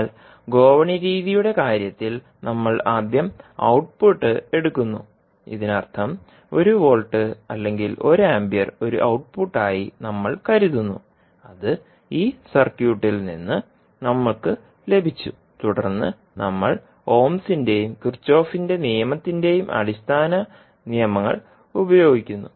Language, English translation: Malayalam, But in case of ladder method we first assume output, so it means that we will assume say one volt or one ampere as an output, which we have got from this circuit and then we use the basic laws of ohms and Kirchhoff’s law